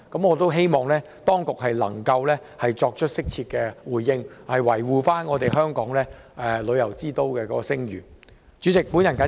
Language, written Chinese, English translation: Cantonese, 我希望當局稍後能作適切回應，維護香港作為旅遊之都的聲譽。, I hope that the authorities will give appropriate response later and safeguard Hong Kongs reputation as a premier tourist city